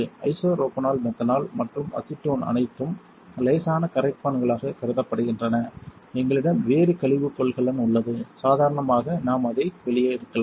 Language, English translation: Tamil, Isopropanol methanol and acetone are all considered mild solvents and we have a different waste container for that ordinarily we can just take it out